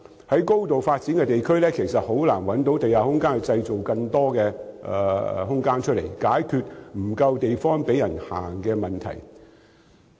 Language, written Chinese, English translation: Cantonese, 在已經高度發展的地區，其實難以在地面製造更多空間，解決沒有足夠地方供行人行走的問題。, In areas which are already highly developed it is actually difficult to create more room on the ground to resolve the lack of space for pedestrians